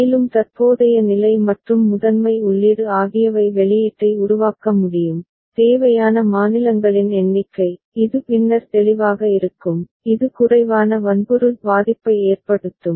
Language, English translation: Tamil, And also because current state and primary input together can generate output, number of states required, which will be clearer later, maybe less which can effect less amount of hardware ok